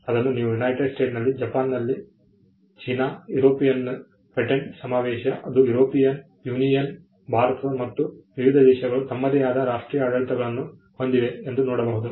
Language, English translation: Kannada, See in the United States, in Japan, China, the European patent convention which is the European Union, India and different countries have their own national regimes